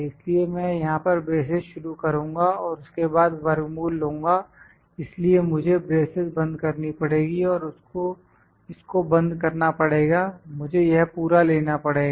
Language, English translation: Hindi, So, I will start the braces here, then take square root of so I have to close this is and close this is I have to take it should be complete